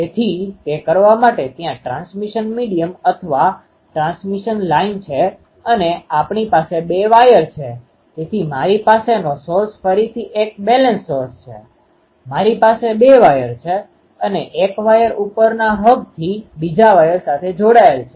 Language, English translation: Gujarati, So, to do that there is a transmission medium or transmission line and if we have two wires, so, I have a source again a balance source, I have a two wires ah and one of the wire is connected to the upper hub the another wire is here